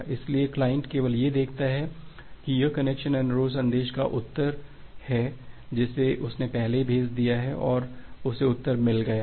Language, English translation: Hindi, So, the client just looks into that it is a reply to the connection request message that it has already sent out and it has got a reply